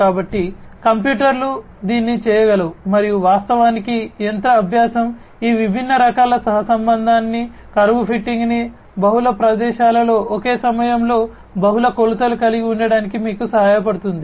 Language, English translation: Telugu, So, the computers can do it and in fact, more specifically machine learning can help you achieve these different types of correlation, curve fitting etcetera in multiple you know in spaces having multiple dimensions at the same time right